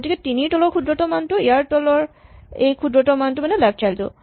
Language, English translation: Assamese, So, the minimum value below 5 is the minimum value below it is left child